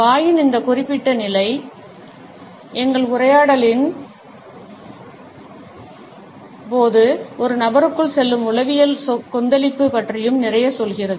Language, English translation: Tamil, This particular position of mouth also tells us a lot about the psychological turbulence which goes on inside a person during our conversations